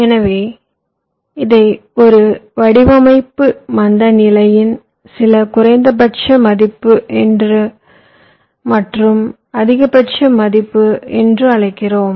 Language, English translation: Tamil, so we call it a design slack, some minimum value and maximum value